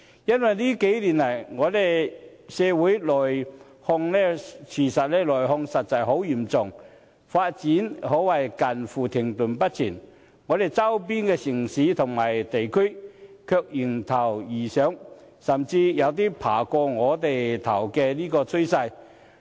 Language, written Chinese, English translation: Cantonese, 因為這些年來，我們社會內耗實在十分嚴重，發展可謂近乎停滯不前，但我們周邊的城市或地區，卻迎頭而上，甚至有超越我們的趨勢。, Due to serious internal attrition in society over the past years development in Hong Kong has almost come to a halt while our neighbouring cities and regions have caught up with if not surpassed our edges